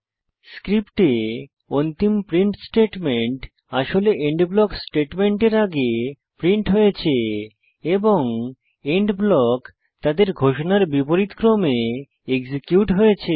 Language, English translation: Bengali, The last print statement in the script actually gets printed before the END block statements and END blocks gets executed in the reverse order of their declaration